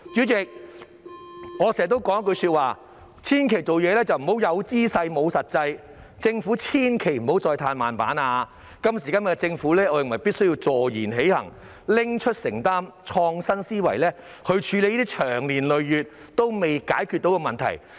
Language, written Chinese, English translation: Cantonese, 代理主席，我經常說一句話，做事千萬不要"有姿勢，無實際"，政府千萬不要再"嘆慢板"，我認為今時今日的政府必須坐言起行，勇於承擔，以創新思維來處理這些長年累月仍未能解決的問題。, Deputy President I often say that we must never pay lip service only and do nothing practical . The Government must not adopt a laid - back attitude anymore . I believe that at the present time the Government must act on its words be bold enough to make commitments and think out of the box when handling these problems which remain unresolved for years